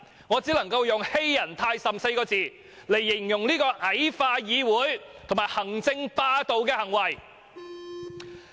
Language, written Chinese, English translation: Cantonese, 我只可以用"欺人太甚" 4個字形容這種矮化議會及行政霸道的行為。, I can only say that this approach of belittling the legislature and asserting executive hegemony is really going too far